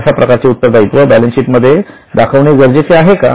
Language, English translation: Marathi, Is it necessary to show such a liability in the balance sheet